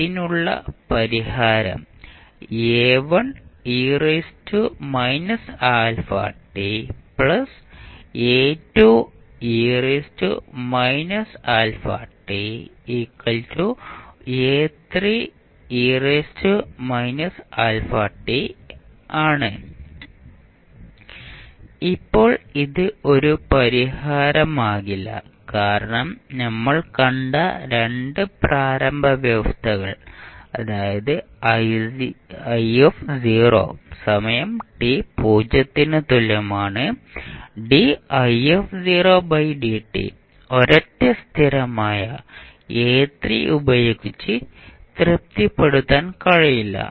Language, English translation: Malayalam, Now, this cannot be a solution because the 2 initial conditions which we saw that is I at time t is equal to 0 and di by dt at time t is equal to 0 cannot be satisfied with single constant a3